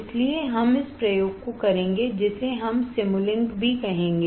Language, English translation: Hindi, So, we will do this experiment also is called Simulink